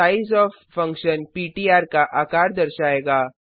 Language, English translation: Hindi, Sizeof function will give the size of ptr